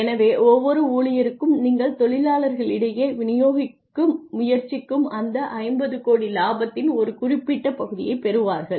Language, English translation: Tamil, So, maybe you know every single employee gets some fraction of that 50 crore profit that you are trying to distribute among the workers